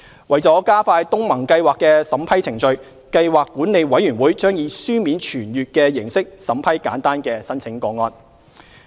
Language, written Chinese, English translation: Cantonese, 為加快東盟計劃的審批程序，計劃管理委員會將以書面傳閱的形式審批簡單的申請個案。, To expedite the vetting process under the ASEAN Programme PMC will approve straightforward cases by circulation